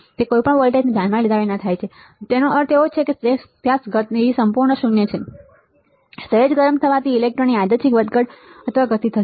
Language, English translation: Gujarati, It happens regardless of any apply voltage that means, that you see motion at absolute is zero, slight heating will cause a random fluctuation or motion of the electrons